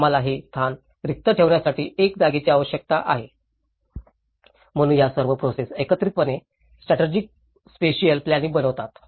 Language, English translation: Marathi, We need a place, for keeping them this evacuated, so all this whole process together frames into a strategic spatial planning